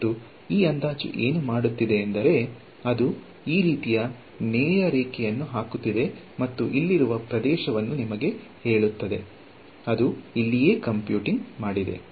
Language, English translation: Kannada, And, what this approximation is doing, it is putting a straight line like this and telling you the area over here right that is what is computing over here